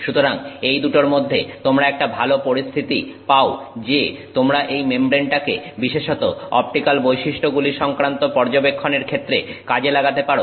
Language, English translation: Bengali, So, between these two you get a nice situation that you can utilize this membrane particularly for studying something that is related to optical properties